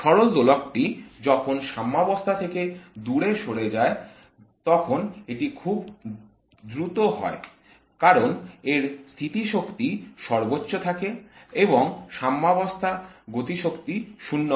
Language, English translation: Bengali, The harmonic oscillator is very fast when it moves away from the equilibrium because its kinetic energy is maximum and at equilibrium the potential energy is zero